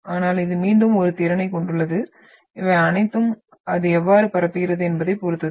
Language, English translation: Tamil, But this has a capability again and this all depends on the nature how it propagates